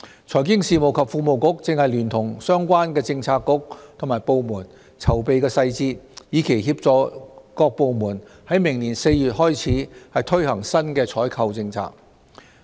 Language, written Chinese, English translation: Cantonese, 財經事務及庫務局正聯同相關政策局及部門籌備細節，以期協助各部門自明年4月起推行新的採購政策。, The Financial Services and the Treasury Bureau is drawing up the details jointly with the relevant Policy Bureaux and departments with a view to facilitating the launch of the new procurement policy by various departments starting from April next year